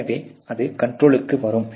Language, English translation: Tamil, So, there it can come in control